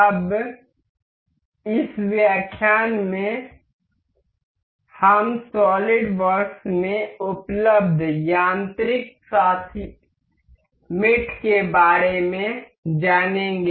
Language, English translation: Hindi, Now, in this lecture we will go about mechanical mates available in solid works